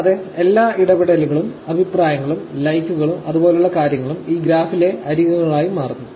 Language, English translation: Malayalam, And, every interaction, which is basically like the comments, likes and things like that, becomes edges in this graph